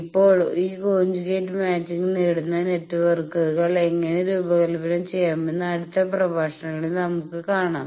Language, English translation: Malayalam, Now, in the next lectures we will see that how to design networks which achieves this conjugate matching